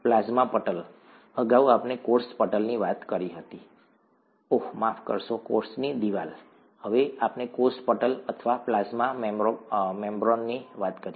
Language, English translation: Gujarati, The plasma membrane; earlier we talked of the cell membrane, the, oh sorry, the cell wall, now let us talk of the cell membrane or the plasma membrane